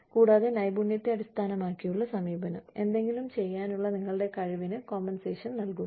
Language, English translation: Malayalam, And, skill based approach, compensates you for your ability, to do something